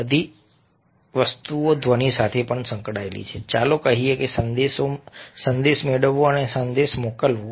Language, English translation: Gujarati, sound is also associated with, let say, a getting a message, sending a message and all thing